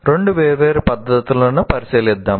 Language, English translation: Telugu, Let us look at two different practices